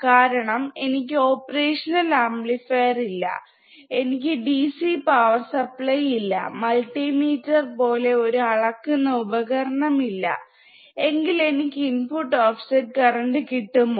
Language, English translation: Malayalam, I do not have the DC power supply, I I do not have the measurement systems like multimeter, can I still calculate the input offset current